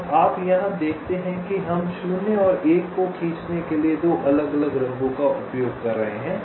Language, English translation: Hindi, you see, here we are using two different colors to draw zeros and ones